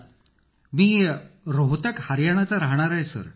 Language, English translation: Marathi, I belong to Rohtak, Haryana Sir